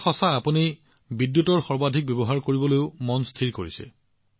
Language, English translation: Assamese, This is true, you have also made up your mind to make maximum use of electricity